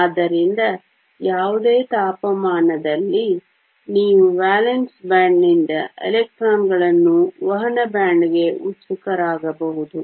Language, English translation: Kannada, So, at any temperature, you can have electrons from the valence band being excited to the conduction band